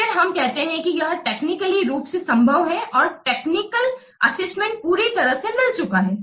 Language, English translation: Hindi, Then we say that it is technically feasible and the technical assessment has been perfectly made